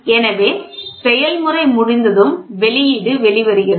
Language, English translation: Tamil, So, after the process is over so, the output comes